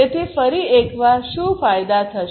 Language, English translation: Gujarati, So, what are the benefits once again